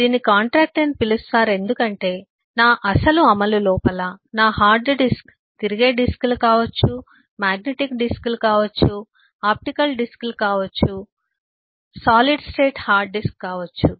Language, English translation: Telugu, it is called contractual because my actual implementation inside my hard disk could be rotating disks, it could be magnetic disks, it could be optical disks, it could be solid state, eh, hard disk and so on